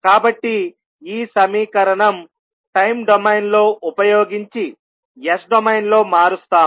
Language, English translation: Telugu, So, using the equation in time domain we will transform this into s domain